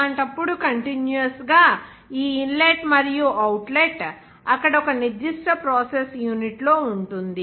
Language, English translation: Telugu, In that case, continuously, this inlet and outlet will be there and in a certain process unit